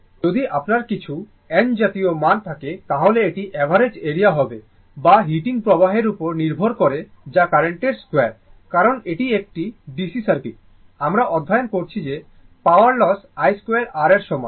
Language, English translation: Bengali, If you have some n such values right, then it will be your average area or what you call depends on the heating effect that is the square of the current because in DC circuit, we have studied the power loss is equal to i square r right